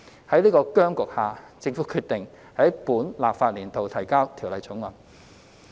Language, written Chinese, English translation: Cantonese, 在此僵局下，政府決定在本立法年度提交《條例草案》。, Amid the impasse the Government decided to introduce the Bill in the current legislative term